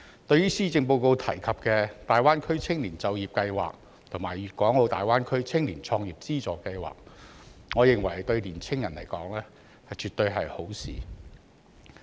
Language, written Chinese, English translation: Cantonese, 對於施政報告提及的大灣區青年就業計劃及粵港澳大灣區青年創業資助計劃，我認為對年輕人來說絕對是好事。, The Greater Bay Area Youth Employment Scheme and the Funding Scheme for Youth Entrepreneurship in the Guangdong - Hong Kong - Macao Greater Bay Area mentioned in the Policy Address in my view are definitely good for young people